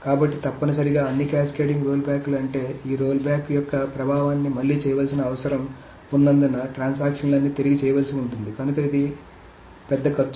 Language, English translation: Telugu, So essentially all those cascading rollbacks, meaning all the transactions that are now rolled back as an effect of this rollback will need to be redone